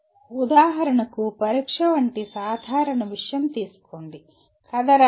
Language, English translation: Telugu, For example take a simple thing like a test could be write a story